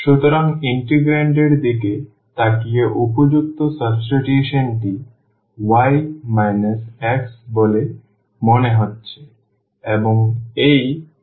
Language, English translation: Bengali, So, the suitable substitution looking at the integrand seems to be y minus x and this y plus x